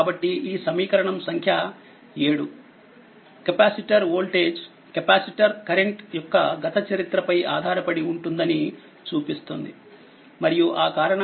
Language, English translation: Telugu, Therefore, this equation 7 that means, this equation 7 shows that capacitor voltage depend on the past history of the capacitor current right and because of that that v t 0 is here